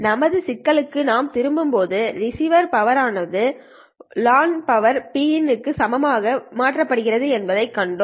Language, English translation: Tamil, Coming back to our problem, we have seen that the received power has been made equal to the launch power P in